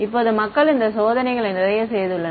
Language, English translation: Tamil, Now people have done these tests a lot right